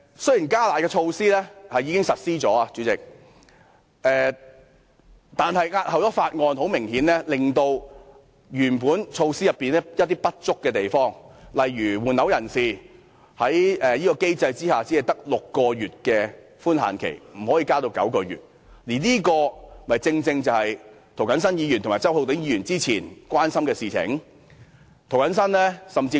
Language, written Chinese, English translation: Cantonese, 雖然"加辣"的措施已經實施，代理主席，但延後審議《條例草案》，很明顯會令法案原先的一些不足之處無法適時解決，例如換樓人士在這機制下只有6個月的退稅寬限期，不可以延長至9個月，而這正正是涂謹申議員和周浩鼎議員早前最關注的事項。, Although the enhanced curb measure has already been implemented Deputy Chairman the delayed scrutiny of the Bill will apparently fail to timely rectify the many inadequacies of the Bill . For example under the present system people replacing properties have to sell their original flats within the six - month period for tax refund and the time limit cannot be extended to nine months . This is the issue that Mr James TO and Mr Holden CHOW have shown grave concern earlier on